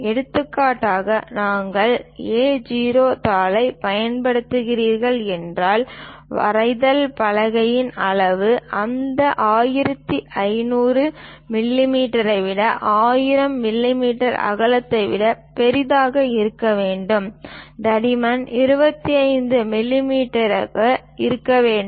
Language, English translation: Tamil, For example, if we are using A0 sheet, then the drawing board size supposed to be larger than that 1500 mm by 1000 mm width, thickness supposed to be 25 millimeters